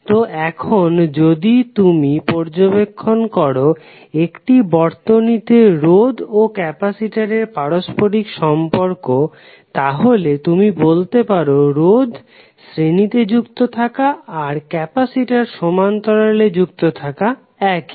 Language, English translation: Bengali, So now if you observe the, the correlation of the circuits related to resistors and the capacitors, you can say that resistors connected in parallel are combined in the same manner as the resistors in series